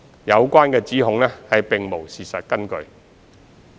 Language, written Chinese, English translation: Cantonese, 有關指控並無事實根據。, The allegations have no factual basis